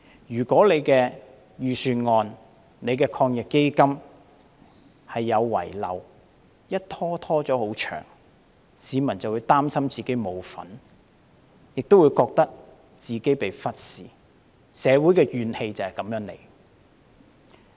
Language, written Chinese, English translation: Cantonese, 如果他的預算案和抗疫基金有遺漏而問題拖延太久，市民便會擔心自己沒有份，亦會覺得自己被忽視，社會的怨氣便由此而生。, If there are inadequacies in the Budget and AEF and the issues are dragged on for too long people will be worried that they are left out and ignored and thus give rise to social grievances